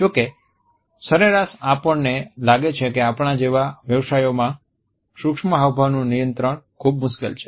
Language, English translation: Gujarati, However, on an average in professions like us we find that the control of micro expressions is very difficult